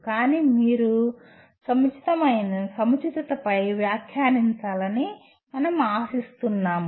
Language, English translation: Telugu, So we expect you to kind of comment on the appropriateness